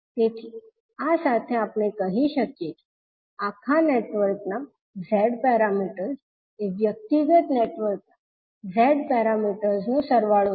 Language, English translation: Gujarati, So, with this we can say that the Z parameters of the overall network are the sum of the Z parameters of the individual networks